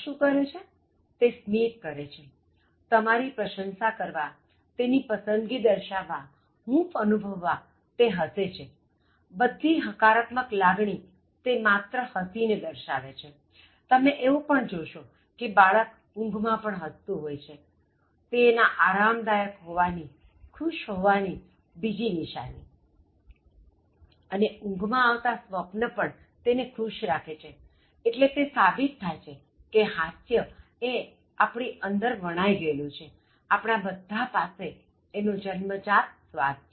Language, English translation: Gujarati, The baby is smiling or laughing to show appreciation, to show liking, to show comfort, to express warmth, so all positive emotions the baby tries to show, by just, by smiling, even you will see this baby smiling while they were sleeping, so that is another sign that they are very comfortable, they are happy, and then they are even in the sleep, whatever dreams they are getting so that actually keeps them very happy, so that only proves that we all have innate taste for humor, it is inherent in us